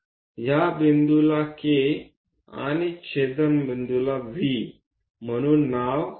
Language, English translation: Marathi, Let us name this point K and the intersection point as V